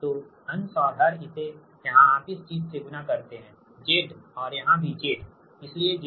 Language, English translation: Hindi, this here you multiply by your this thing, z, and here also z